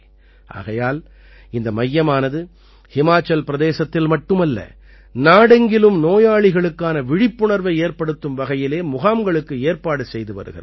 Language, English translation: Tamil, That's why, this centre organizes awareness camps for patients not only in Himachal Pradesh but across the country